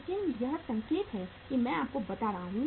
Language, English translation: Hindi, But this is indicative I am telling you